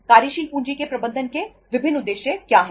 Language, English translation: Hindi, What are the different objectives of managing the working capital